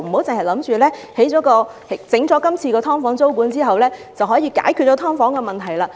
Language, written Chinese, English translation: Cantonese, 政府不要以為今次實施"劏房"租管便能解決"劏房"問題。, The Government should not consider that the current introduction of tenancy control on SDUs is a solution to the issue of SDUs